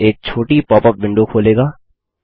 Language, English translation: Hindi, This opens a small popup window